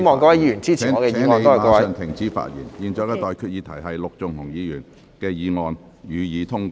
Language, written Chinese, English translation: Cantonese, 我現在向各位提出的待決議題是：陸頌雄議員動議的議案，予以通過。, I now put the question to you and that is That the motion moved by Mr LUK Chung - hung be passed